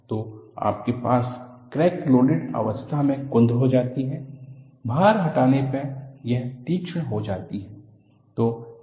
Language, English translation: Hindi, So, you have, while the crack is loaded, it gets blunt; during unloading, it gets sharper